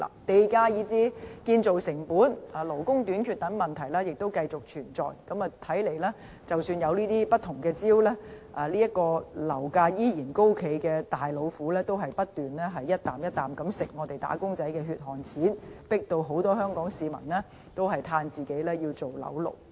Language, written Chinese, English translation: Cantonese, 地價、建造成本以至勞工短缺等問題繼續存在，看來即使有不同招數，樓價持續高企這隻"大老虎"仍不斷吃掉"打工仔"的血汗錢，迫使很多香港市民慨歎自己要做"樓奴"。, With prevailing problems including high land - price prices and construction costs as well as labour shortage it seems that no matter what other measures are taken by the Government the bane of constantly high property prices will keep eating away the hard - earned money of wage earners forcing many Hong Kong people to join the miserable rank of housing slaves